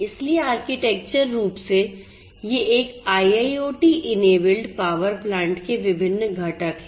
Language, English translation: Hindi, So, architecturally you know so these are the different components of a you know of an IIoT enabled power plant